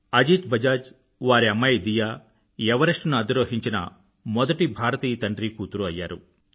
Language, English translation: Telugu, Ajit Bajaj and his daughter became the first ever fatherdaughter duo to ascend Everest